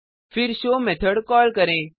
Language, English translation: Hindi, And To call a method